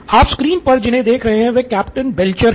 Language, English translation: Hindi, What you see on the screen is Captain Belcher